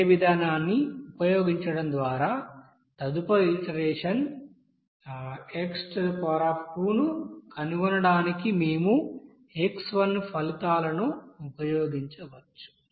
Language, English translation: Telugu, So we can use this results of x to find our next iteration x by using the same procedure